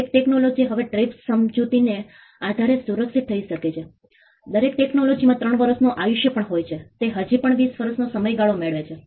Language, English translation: Gujarati, Every technology is now protectable in by virtue of the TRIPS agreement every technology even of the technology has a life span of 3 years, it still gets a 20 year term